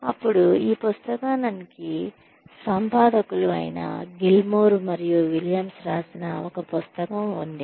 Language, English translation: Telugu, Then, there is a book by, Gilmore and Williams, who are the editors of this book